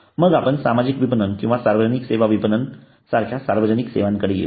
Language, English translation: Marathi, then we come to public services like social marketing or public services marketing